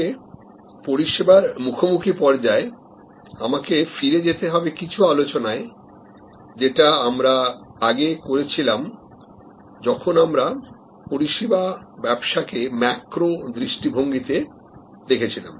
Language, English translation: Bengali, But, any way in the service encounter stage I will have to go back to some of the discussions that we have add before, when we are looking at taking a macro view of the service business as a whole